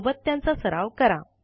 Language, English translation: Marathi, Practice them in parallel